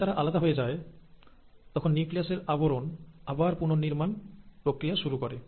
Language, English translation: Bengali, And then, once they are separated, the nuclear envelope restarts to appear